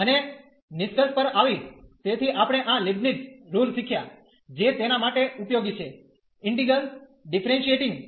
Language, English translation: Gujarati, And coming to the conclusion so, we have learned this Leibnitz rule, which is useful for differentiating the integrals